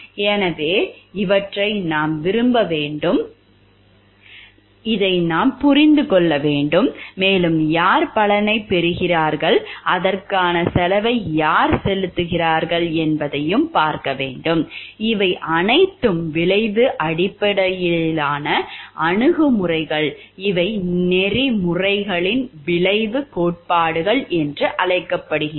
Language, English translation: Tamil, So, these we have to like appreciate this we have to understand and we also have to see who is getting the benefit and who is paying the cost for it and these are all outcome based approach these are called consequential theories of ethics